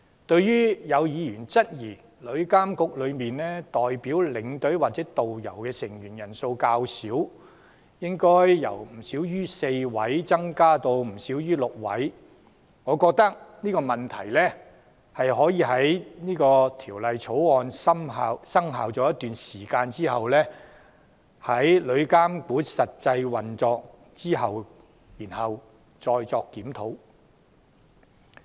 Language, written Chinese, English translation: Cantonese, 對於有議員質疑旅監局中代表領隊或導遊的成員人數較少，認為應該由不少於4位增加至不少於6位，我認為這問題可以待《條例草案》生效一段時間後，在旅監局實際運作後才再作檢討。, Noting that some Members have queried why TIA has comparatively fewer members to represent tour escorts or tourist guides I think we may review their suggestion of increasing the number of such representatives from not more than four to not more than six sometime after the Bill has come into force and TIA has come into actual operation